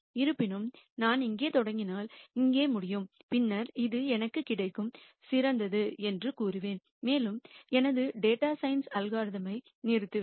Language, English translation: Tamil, However, if I start here then I would more likely end up here and then I will say this is the best I get and I will stop my data science algorithm